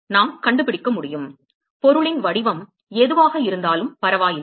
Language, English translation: Tamil, That we should be able to find, does not matter whatever the shape of the object